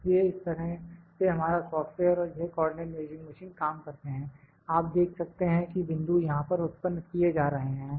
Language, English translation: Hindi, So, this is how our software and this co ordinate measuring machine works, you can see the points are generated being generated here